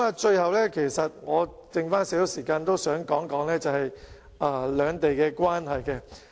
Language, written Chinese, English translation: Cantonese, 最後，尚餘一點時間，我想談談兩地的關係。, Lastly as I still have a bit of time I would like to talk about the relationship between Hong Kong and the Mainland